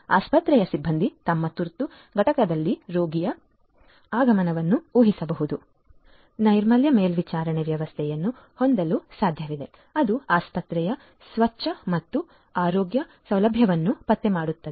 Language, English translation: Kannada, Hospital staff can predict the arrival of a patient in their emergency units; it is also possible to have hygiene monitoring system which can detect the cleanliness of the hospital and the healthcare facility